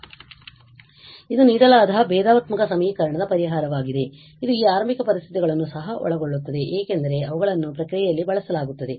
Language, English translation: Kannada, So, this is the solution of the given differential equation which also incorporates this initial conditions because they are used in the process